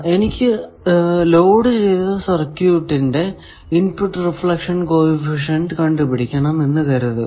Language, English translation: Malayalam, Now, let us come to our one point that, suppose, I want to find the input reflection coefficient of a loaded circuit